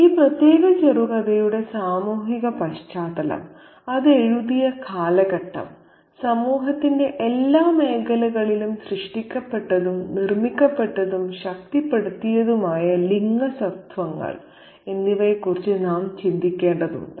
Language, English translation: Malayalam, So, we need to think about the social context of this particular short story, the period in which it was written and the gender identities that were created and constructed and reinforced in every aspect of society